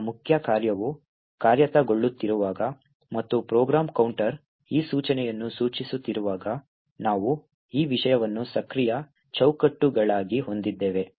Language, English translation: Kannada, Now when the main function is executing and the program counter is pointing to this particular instruction, then we have this thing as the active frames